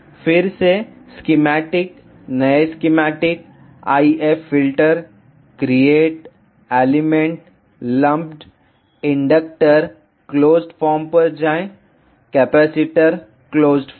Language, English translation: Hindi, Again, go to schematic, new schematic, IF filter, create, elements, lumped, Inductor closed form; Capacitor, closed form